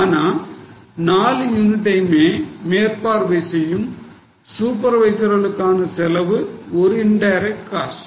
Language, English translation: Tamil, But the cost of the supervisors who are supervising all the four units, it will be an indirect cost